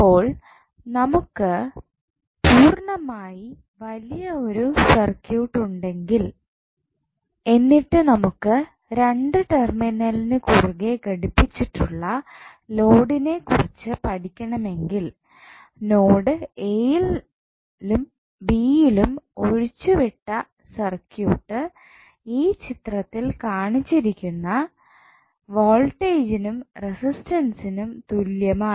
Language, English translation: Malayalam, So, what we discussed that if we have a fairly large circuit and we want to study the load at connected across two terminals then the circuit which is left of the nodes a and b can be approximated rather can be equal with the voltage and resistances shown in the figure